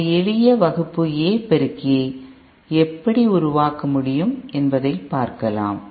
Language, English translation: Tamil, So let us see a Class A, a simple Class A amplifier, how it can be built